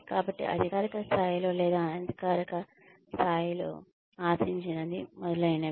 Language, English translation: Telugu, So, what is expected on a formal level or an informal level, etcetera